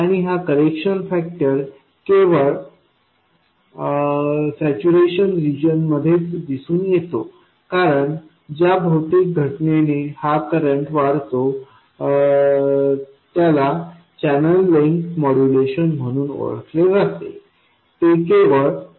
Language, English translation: Marathi, And this correction factor appears only in the saturation region because the physical phenomenon by which this current increases is known as channel length modulation and that happens only in saturation region